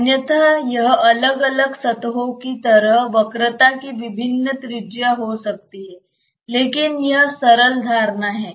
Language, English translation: Hindi, Otherwise it may have different radii of curvature at like different planes, but this simplistic assumption